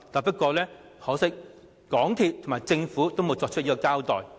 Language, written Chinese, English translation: Cantonese, 不過，可惜的是，港鐵公司和政府均沒有作出交代。, Yet it is regrettable that neither MTRCL nor the Government has done so